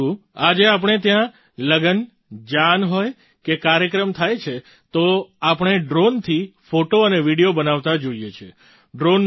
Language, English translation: Gujarati, But today if we have any wedding procession or function, we see a drone shooting photos and videos